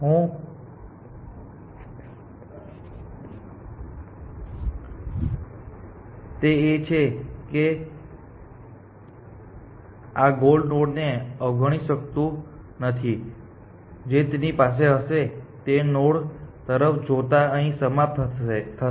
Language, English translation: Gujarati, What I am saying is that this search cannot ignore this whole node that eventually it may have it may end of looking at a node here